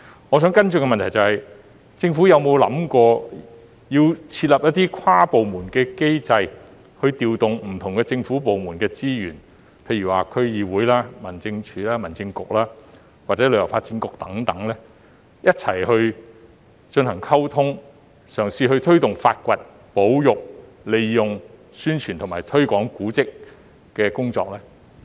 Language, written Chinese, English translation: Cantonese, 我想提出的補充質詢是，政府有否考慮制訂一個跨部門的機制，以調動不同政府部門的資源，例如區議會、民政事務總署、民政事務局或旅發局等，以便一起進行溝通和推動古蹟的發掘、保育、宣傳和推廣工作呢？, Here is my supplementary question . Has the Government considered setting up an interdepartmental system to take charge of resource deployment under different government departments such as the District Council Home Affairs Department Home Affairs Bureau and HKTB for collective communication and to take forward the finding conservation publicity and promotion of heritage spots?